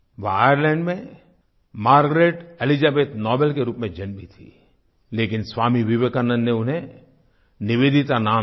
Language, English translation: Hindi, She was born in Ireland as Margret Elizabeth Noble but Swami Vivekanand gave her the name NIVEDITA